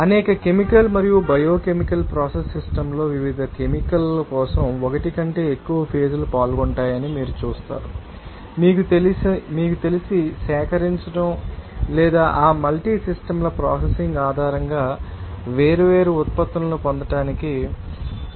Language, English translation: Telugu, That in many chemical and biochemical you know that process system you will see that mole than one phase will be involving for different you know, chemical a new process to you know, procure or you can sit to get the different products based on that, you know, processing of that multiple systems